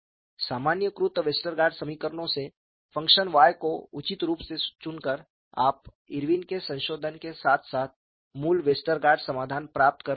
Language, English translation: Hindi, From the generalized Westergaard equations, by appropriately choosing the function y, you could get Irwin’s modification as far as the basic Westergaard solution